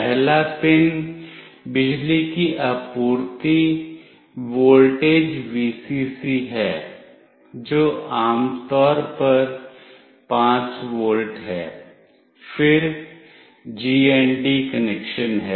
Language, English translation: Hindi, The first pin is the power supply voltage Vcc which is typically 5 volt, then the GND connection